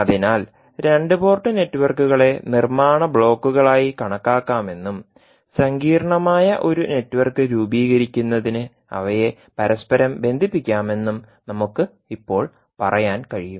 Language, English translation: Malayalam, So we can now say that the two port networks can be considered as a building blocks and that can be interconnected to form a complex network